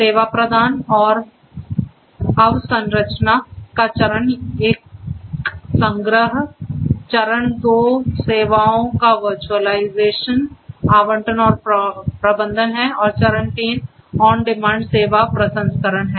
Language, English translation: Hindi, Phase one collection of the service offerings and the infrastructure, phase two is the virtualization, allocation and management of the services, and phase three is on demand service processing